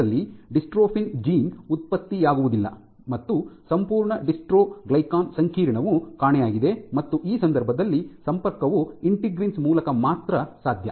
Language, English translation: Kannada, So, because the dystrophin gene is not produced the entire dystroglycan complex is missing and in this case the linkage is only through the integrin, integrins ok